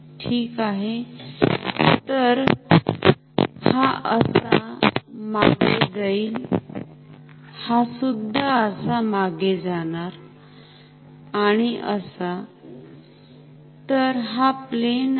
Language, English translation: Marathi, And I can so this will go like this behind, this will also go like this behind and like, so this is the plane